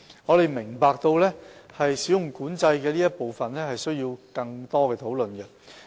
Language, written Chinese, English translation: Cantonese, 我們明白有關"使用管制"的部分需要更多討論。, We understand that the part on use control may require further deliberation